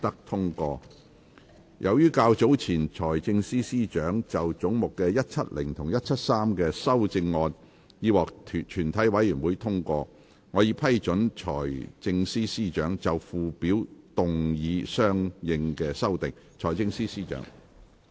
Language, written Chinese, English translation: Cantonese, 由於較早前財政司司長就總目170及173的修正案已獲全體委員會通過，我已批准財政司司長就附表動議相應修訂。, As the Financial Secretarys amendments to heads 170 and 173 have been passed by the committee earlier I have given leave for the Financial Secretary to move consequential amendments to the Schedule